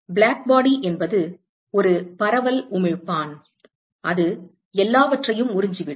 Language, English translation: Tamil, Blackbody is a diffuse emitter, it absorbs everything